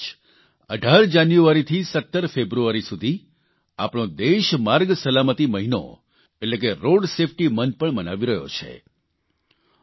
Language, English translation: Gujarati, This very month, from the 18th of January to the 17th of February, our country is observing Road Safety month